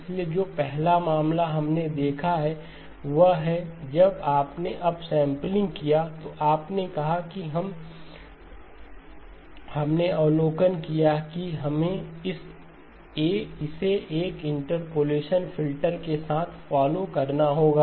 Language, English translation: Hindi, So the first case that we have looked at is; when you did up sampling, you said, we made the observation that we would have to follow it up with an interpolation filter